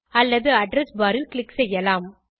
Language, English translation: Tamil, Or you can click here on the address bar